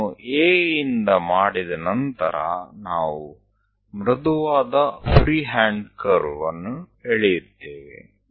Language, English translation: Kannada, So, once it is done from A, we we will draw a smooth freehand curve